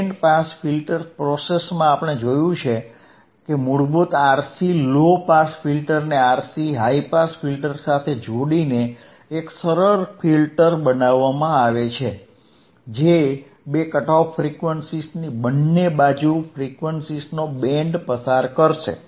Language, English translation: Gujarati, In Band Pass Filter action we have seen that a basic RC low pass filter can be combined with a RC high pass filter to form a simple filter that will pass a band of frequencies either side of two cut off frequencies